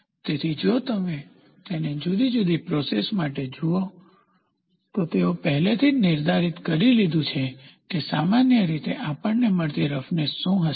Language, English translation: Gujarati, So, if you look at it for varying processes for varying processes, they have already predefined what will be the roughness generally we get